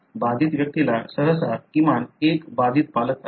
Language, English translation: Marathi, Affected person usually has at least one affected parent